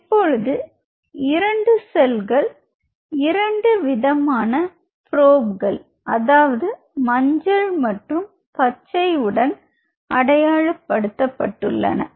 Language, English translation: Tamil, So now I have 2 cells which are now labeled with 2 fluorescent probes, yellow and the green, right